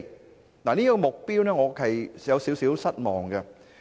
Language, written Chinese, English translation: Cantonese, 我對於這個目標是有點失望。, I am a bit disappointed about such a target